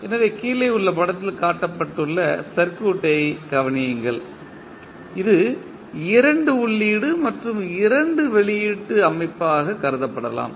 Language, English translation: Tamil, So, consider the circuit which is shown in the figure below, which may be regarded as a two input and two output system